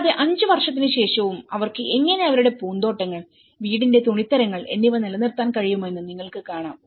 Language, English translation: Malayalam, And, even after five years, one can see that you know, how they are able to maintain their gardens the fabric of the house